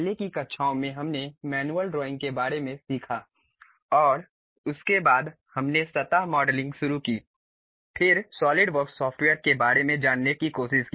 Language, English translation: Hindi, In the earlier classes, we learned about manual drawing and after that we have introduced surface modeling then went try to learn about Solidworks software